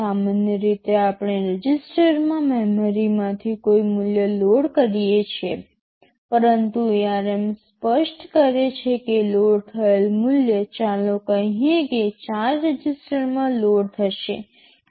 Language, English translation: Gujarati, NLike normally we will load a value from memory into 1 a register, but ARM allows you to specify in such a way that the value loaded will be loaded into let us say 4 registers